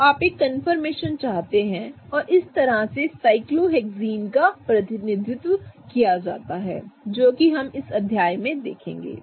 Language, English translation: Hindi, So, you want a confirmation and this is how cyclohexanes are represented, we will see this in chapter